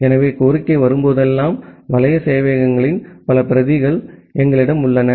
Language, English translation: Tamil, So, whenever the request comes, so we have multiple web servers multiple copies of the web servers